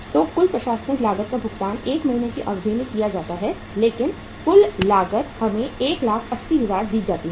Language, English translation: Hindi, So total administrative cost is paid in the 1 month period but the total cost is given to us is 1,80,000